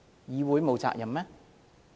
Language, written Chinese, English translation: Cantonese, 議會沒有責任嗎？, The Council has no responsibility?